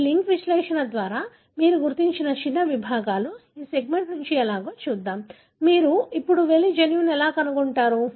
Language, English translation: Telugu, So let us see how from that segment, that small segments that you identified by this linkage analysis, how do you now go and find the gene